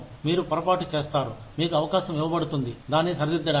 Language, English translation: Telugu, You make a mistake, you are given an opportunity, to rectify it